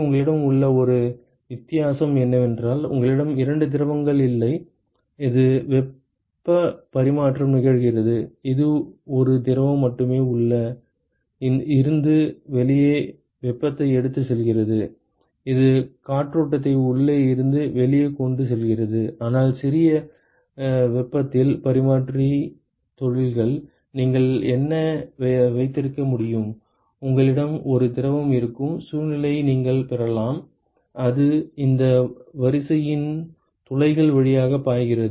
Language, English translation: Tamil, Where you have the only difference there is that you do not have two fluids where it heat exchange is happening it is just one fluid which is carrying heat from inside to the outside the airstream which is carrying from inside to the outside, but in compact heat exchanges industries, what you can have is; you can have a situation where you have one fluid, which is flowing through the pores of this array ok